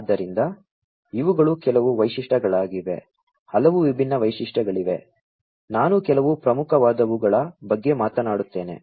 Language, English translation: Kannada, So, these are some of the features there are many many different features I will talk about some of the salient ones